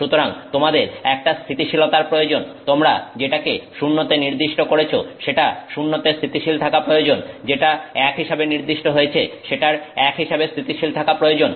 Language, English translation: Bengali, So, you need stability in that what you set as zero should stay stable at zero, what you set as one should stay stable as one